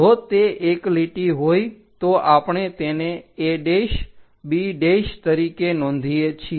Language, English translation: Gujarati, If it is a line a’, b’ we will note it